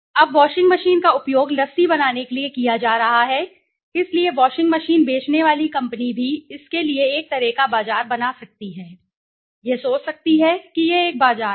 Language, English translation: Hindi, Now, the washing machines are being used for making lassie so a company who sells washing machines can also make it a kind of a market for it right, can think of it is a market right